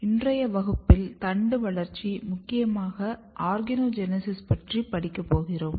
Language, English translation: Tamil, So, we are studying today Shoot Development particularly Organogenesis part